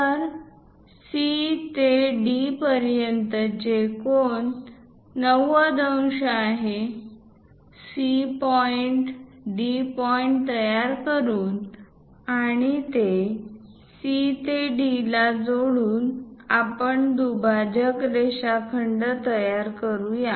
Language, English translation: Marathi, So, the angle from C to D is 90 degrees; by constructing C point, D point, and joining lines C to D, we will be in a position to construct a bisected line segment